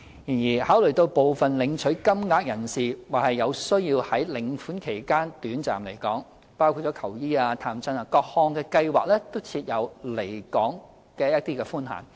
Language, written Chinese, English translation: Cantonese, 然而，考慮到部分領取金額的人士或有需要在領款期間短暫離港，各項計劃都設有離港寬限。, Nonetheless having regard to some social security recipients needs for temporary absence from Hong Kong during receipt of payments permissible absence limits are put in place under various schemes